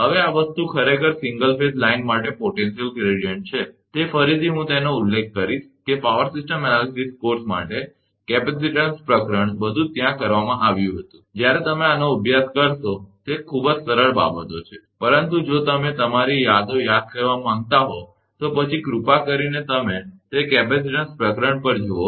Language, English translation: Gujarati, Now, this thing actually potential gradient for single phase line, that again I will refer that, capacitance chapter everything had been done there, for power system analysis course, when you will study these are very simple things, but if you want to recall your memories, then please you see that capacitance chapter right